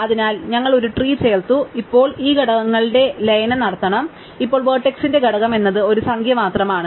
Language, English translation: Malayalam, So, we add it to our tree and now we have to do this merging of components, now what is the component of the vertex is just a number